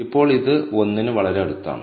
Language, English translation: Malayalam, Now this is pretty close to 1